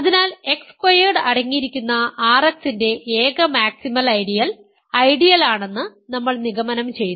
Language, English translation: Malayalam, Hence, we have concluded that, the only maximal ideal of R X containing X squared is the ideal ok